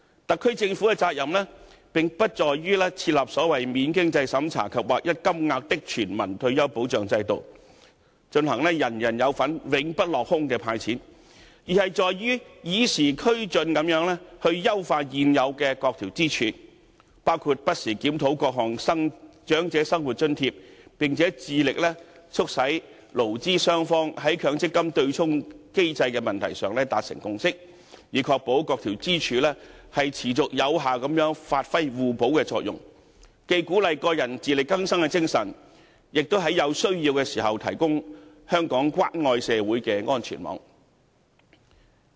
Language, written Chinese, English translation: Cantonese, 特區政府的責任，並不在於設立"免經濟審查及劃一金額的全民退休保障"制度，人人有份、永不落空地派錢，而是在於與時俱進地優化現有各支柱，包括不時檢討各項長者生活津貼，並且致力促使勞資雙方在強積金對沖機制的問題上達成共識，以確保各支柱持續有效地發揮互補作用，既鼓勵個人自力更生的精神，亦在有需要時提供香港關愛社會的安全網。, The duty of the Government is not to establish a non - means - tested universal retirement protection system with uniform payment and hand out money to all but to update the existing pillars review the various allowances for the elderly and strive to bring employers and employees to a consensus on the MPF offsetting mechanism so as to ensure that each pillar plays an effective complementary role in which case the spirit of self - reliance can be encouraged while a safety net is provided when necessary in a caring society